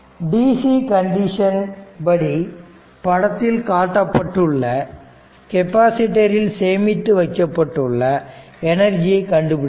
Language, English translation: Tamil, So, now under dc condition now find the energy stored in the capacitor in figure 5